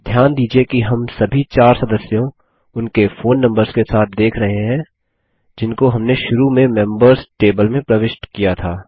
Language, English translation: Hindi, Notice that we see all the four members that we originally entered in the Members table along with their phone numbers